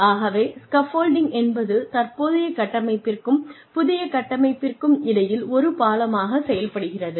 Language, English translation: Tamil, So, scaffolding acts as a bridge, between the current structure and the new structure